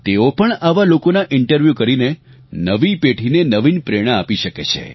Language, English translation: Gujarati, They too, can interview such people, and inspire the young generation